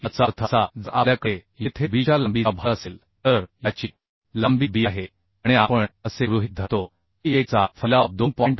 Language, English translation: Marathi, 5 that means if we have a load here with a bearing length of b say this is bearing length b and we assume that a dispersion of 1 is to 2